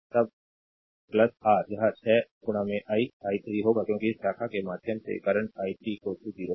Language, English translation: Hindi, Then plus your it will be 6 into i i 3, because current through this branch is i 3 is equal to 0